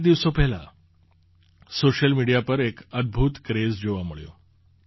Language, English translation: Gujarati, A few days ago an awesome craze appeared on social media